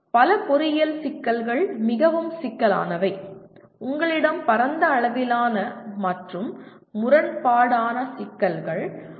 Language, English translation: Tamil, So many engineering problems are really complex in the sense you have wide ranging as well as conflicting issues that come in